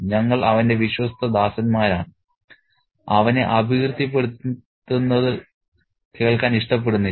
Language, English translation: Malayalam, We are his faithful servants and don't like to hear him maligned